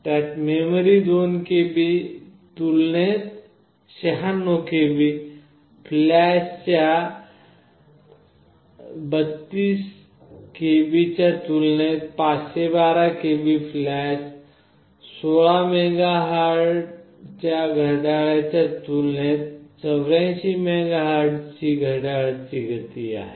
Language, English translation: Marathi, You see the kind of memory it is having; 96 KB compared to 2 KB, 512 KB of flash compared to 32 KB of flash, clock speed of 84 megahertz compared to clock speed of 16 megahertz